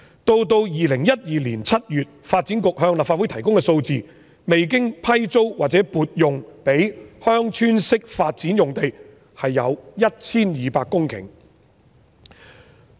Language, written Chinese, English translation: Cantonese, 到了2012年7月，發展局向立法會提供數字，未經批租或撥用的鄉村式發展用地有 1,200 公頃。, According to the figures provided by the Development Bureau in July 2012 there were 1 200 hectares of unleased or unallocated Village Type Development sites